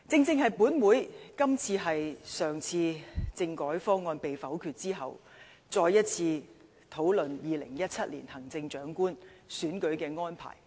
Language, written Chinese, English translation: Cantonese, 今天，本會繼上次政改方案被否決後，再次討論2017年行政長官選舉的安排。, Today this Council discusses again the arrangements for the 2017 Chief Executive Election after the last constitutional reform package was vetoed